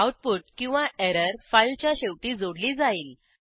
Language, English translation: Marathi, The output or the error will be appended at the end of the file